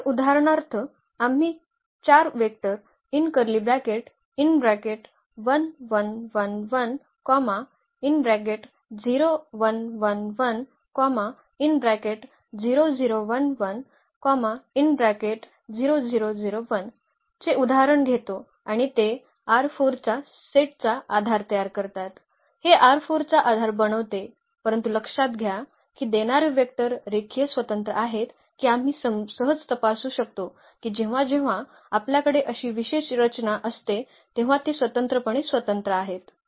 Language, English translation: Marathi, So, for instance we take this example of 4 vectors and they forms the basis of R 4 the set this forms a basis of R 4, while note that the give vectors are linearly independent that we can easily check they are linearly independent whenever we have such a special structure